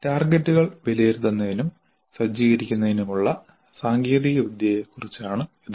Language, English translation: Malayalam, This is about the technology for assessment and setting the targets